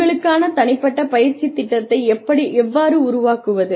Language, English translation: Tamil, How do you create your own training program